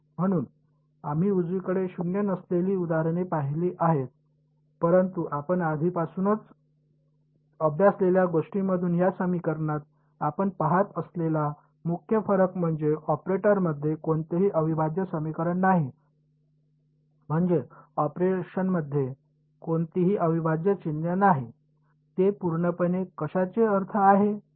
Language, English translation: Marathi, So, we have seen examples of non zero on the right hand side, but the main difference that you can observe in this equation from what we already studied is what there is no integral equation in the operator; I mean there is no integral sign in the operation, it is purely means of what